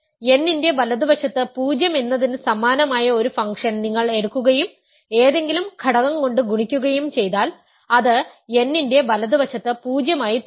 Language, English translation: Malayalam, If you take a function which is identically 0 to the right of n and multiply by any function, it will continue to be 0 to the right of n